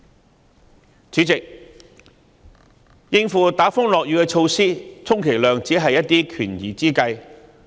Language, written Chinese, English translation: Cantonese, 代理主席，應付打風落雨的措施，充其量只是權宜之計。, Deputy President typhoon precautions are at most just stopgap measures